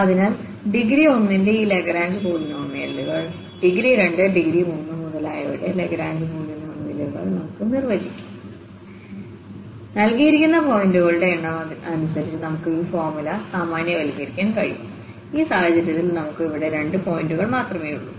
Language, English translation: Malayalam, So, this Lagrange polynomial of degree 1 we can define Lagrange polynomial of degree 2, degree 3, etcetera and depending on the given number of points we can generalize this formula in this case we have only two points there